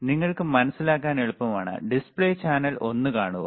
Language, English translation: Malayalam, So, it is easy for you to understand, see the display channel one ok,